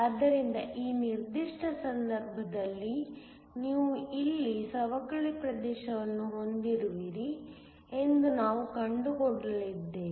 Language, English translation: Kannada, So, in this particular case, we are going to find that you will have a depletion region here